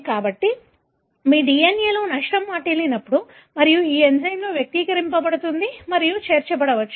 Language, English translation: Telugu, So, whenever there is damage in your DNA and this enzyme is expressed and is able to join